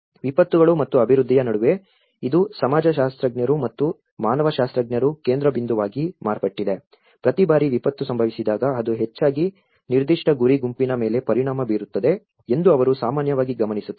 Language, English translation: Kannada, Between the disasters and the development where this it has also become a focus of the sociologists and anthropologists, they often observed that every time a disaster happens, it is affecting mostly a particular target group